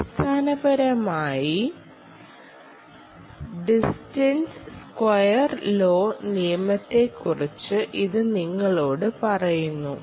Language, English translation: Malayalam, basically it is telling you about the distance square law